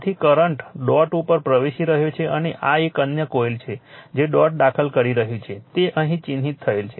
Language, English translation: Gujarati, So, current is entering into the dot and this is a another coil is dot is entering marked here